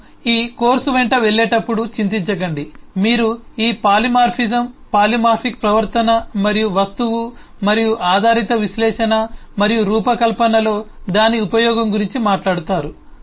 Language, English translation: Telugu, as we go along this course, you will talk about these eh: polymorphism, polymorphic behavior and the and its use in the object oriented eh analysis and design